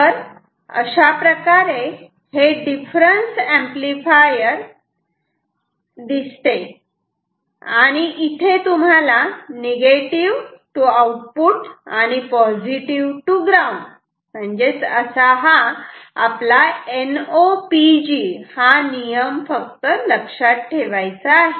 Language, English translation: Marathi, So, this is how a difference amplifier looks like you just have to remember, this rule NOPG, Negative to Output Positive to Ground